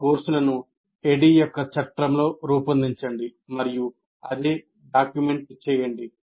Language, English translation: Telugu, And design your courses in the framework of ADI and document the same